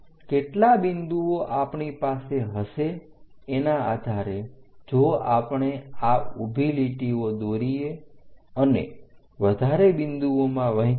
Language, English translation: Gujarati, Based on how many points we are going to have if we are going to divide many more points drawing these vertical lines